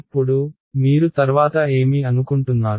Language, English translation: Telugu, Now, what you think would be next